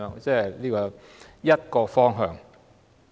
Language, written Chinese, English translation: Cantonese, 這是其中一個方向。, This is one of the directions